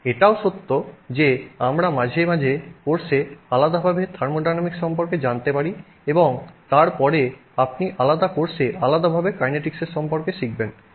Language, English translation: Bengali, It is also true that we sometimes learn about thermodynamics separately in a course and then you learn about kinetics separately in a different course